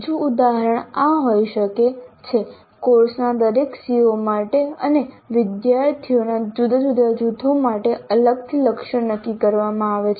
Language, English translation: Gujarati, Another example can be targets are set for each CO of a course and for different groups of students separately